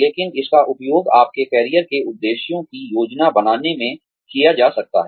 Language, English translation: Hindi, But, it can be used in, planning of your career objectives